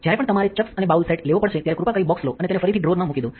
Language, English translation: Gujarati, Whenever you have taking the chucks and the bowl set please take the box and put it back into the drawer